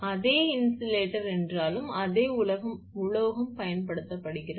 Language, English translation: Tamil, Although same insulator same metal is used